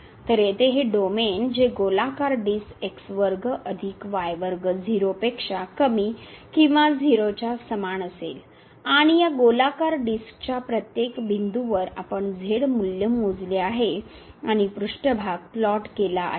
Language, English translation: Marathi, So, this domain here which is the circular disc square plus square less than equal to 0 and at each point of this circular disc, we have computed the value of and the surface is plotted